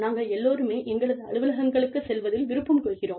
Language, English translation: Tamil, We all love, going to our offices